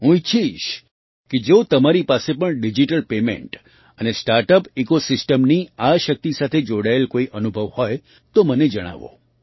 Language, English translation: Gujarati, I would like you to share any experiences related to this power of digital payment and startup ecosystem